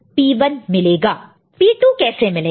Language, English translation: Hindi, So, how to get P 2